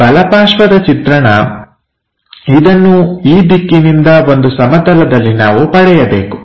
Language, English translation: Kannada, The right side view from this direction on to a plane we have to get